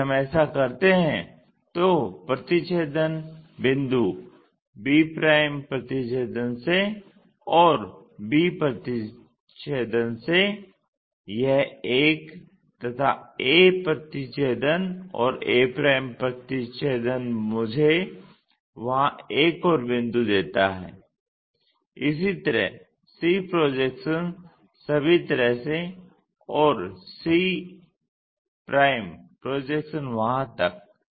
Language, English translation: Hindi, If we do that the intersection points from b' intersection from b intersection this one, from a intersection and a' intersection gives me one more point there, similarly c projection all the way there, and c' projection to that